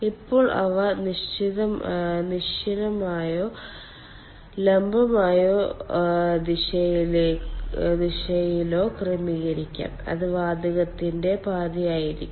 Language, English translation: Malayalam, they can be arranged either horizontally or in vertical or in vertical direction and that will be the path of the gas